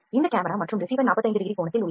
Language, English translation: Tamil, This camera and receiver are at 45 degree angle